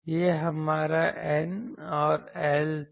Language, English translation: Hindi, This was our N and L was